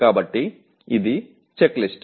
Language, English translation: Telugu, So this is the checklist